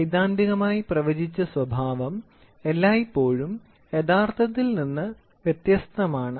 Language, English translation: Malayalam, The theoretically predicted behaviour is always different from the real times